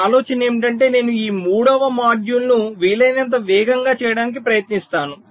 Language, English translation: Telugu, so my idea is that i will try to make this third module as fast as possible